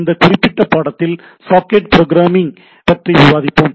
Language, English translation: Tamil, So, in this particular course we will have some socket programming